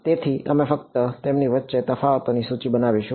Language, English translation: Gujarati, So, we will just list out the differences between them